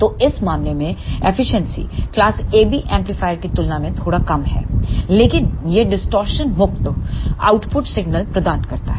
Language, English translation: Hindi, So, in this case the efficiency is slightly less than the class AB amplifier, but it provides the distortion free output signal